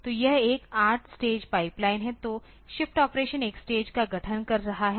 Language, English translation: Hindi, So, it is a 8 stage pipeline so, the shift operation is constituting one stage